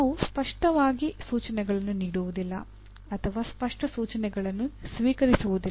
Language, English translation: Kannada, We do not clearly give instructions nor receive clear instructions